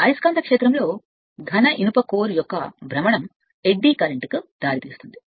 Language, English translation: Telugu, The rotation of a solid iron core in the magnetic field results in eddy current right